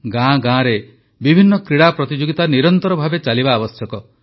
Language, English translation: Odia, In villages as well, sports competitions should be held successively